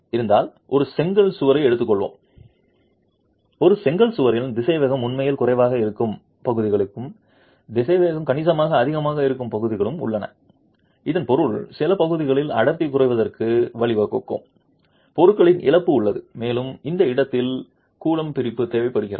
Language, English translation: Tamil, If there is let's take a brick wall and a brick wall has parts where the velocity is really low and parts where the velocity is significantly high, it means that there is loss of material leading to reduce density in some portions and it necessitates grouting in that location